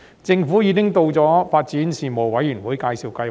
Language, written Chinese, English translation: Cantonese, 政府已向發展事務委員會介紹發展計劃。, The Government has already introduced the development plan to the Panel on Development